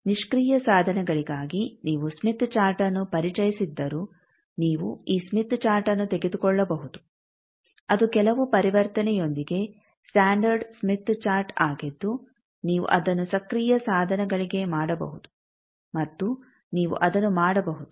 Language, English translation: Kannada, Then you can take this smith chart though you have introduced smith chart for passive devices that is standard smith chart with some conversion you can make it for active devices and you can do that